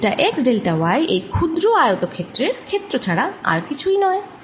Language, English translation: Bengali, what is delta x, delta y, delta x, delta y is nothing but the area of this small rectangle